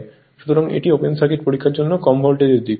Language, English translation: Bengali, So, this is the low voltage side for open circuit test right